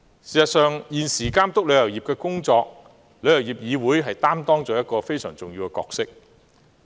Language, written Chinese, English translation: Cantonese, 事實上，現時旅議會在監督旅遊業的工作方面，擔當了一個非常重要的角色。, In fact TIC is currently performing a very important role in regulating the work of the travel industry